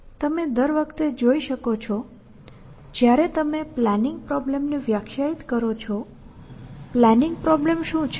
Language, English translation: Gujarati, As you can see every time you define the planning problem